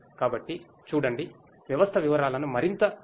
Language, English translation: Telugu, So, see will further explain the details of the system